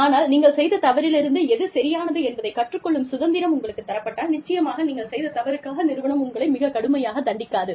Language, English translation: Tamil, But, if you are given that freedom, to learn from your mistakes, you know, if the organization, does not penalize you, too heavily for your mistakes